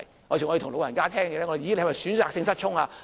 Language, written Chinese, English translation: Cantonese, 有時候我們會問老人家，"你是否選擇性失聰？, I have occasionally asked an elder Do you optionally lose your hearing?